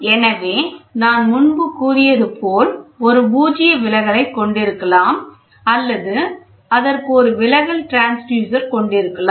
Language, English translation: Tamil, So, as I said earlier it can have a null deflection or it can have a deflection transducer